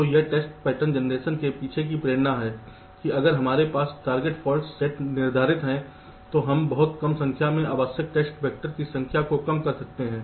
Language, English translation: Hindi, so this is the motivation behind test pattern generation, that if we have a target set of faults we can reduce the number of test factors required drastically